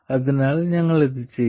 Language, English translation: Malayalam, So, this is what we will do